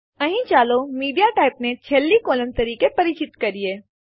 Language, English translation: Gujarati, Here let us introduce MediaType as the last column